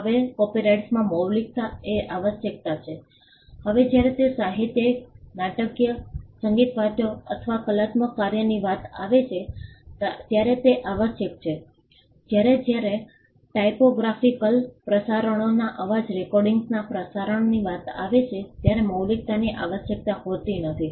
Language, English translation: Gujarati, Now, originality is a requirement in copyright now it is a requirement when it comes to literary, dramatic, musical or artistic work whereas, originality is not a requirement when it comes to sound recordings broadcast typographical arrangements